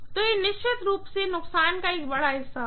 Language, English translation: Hindi, So, it would definitely entail a huge amount of loss, right